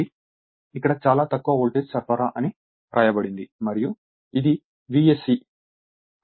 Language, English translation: Telugu, So, it is written here very low voltage supply and this is V s c